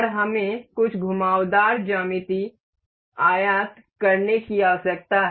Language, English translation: Hindi, And we need to import some curved geometry